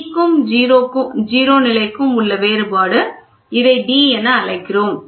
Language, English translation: Tamil, The difference between c and the 0 level, we call it as d, small d